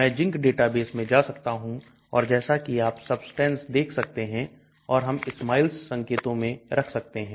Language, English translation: Hindi, I can go to ZINC database and as you can see substances and we can put in the SMILES notation